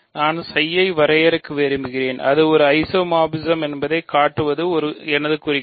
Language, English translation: Tamil, So, I want to define psi and show that it is an isomorphism is my goal